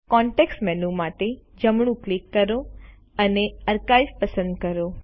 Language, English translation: Gujarati, Right click for the context menu and select Archive